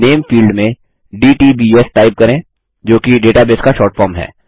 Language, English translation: Hindi, In the Name field, typedtbs which is the short form of database